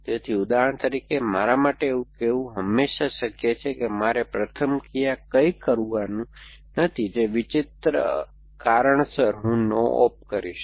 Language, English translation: Gujarati, So, for example it is always possible for me to say that my first action is to do nothing, for some strange reason that I will do a no op